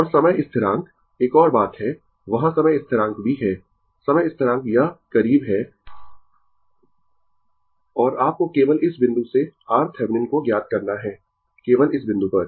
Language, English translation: Hindi, Time constant this this is your close right and you have to find out your R Thevenin from this point only, at this point only